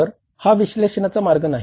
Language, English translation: Marathi, So, that is not the way of analysis